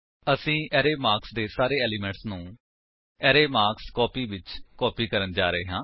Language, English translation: Punjabi, We are going to copy all the elements of the array marks into the array marksCopy